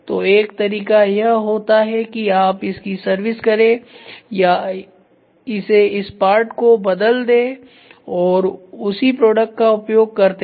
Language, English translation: Hindi, So, one way of doing it is you service it replace this part and start using the same product